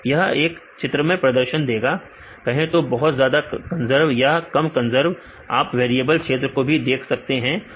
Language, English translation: Hindi, This will give a pictorial representation say the highly conserved as well as the less conserved, variable regions you can see